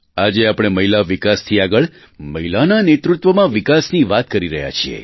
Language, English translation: Gujarati, Today the country is moving forward from the path of Women development to womenled development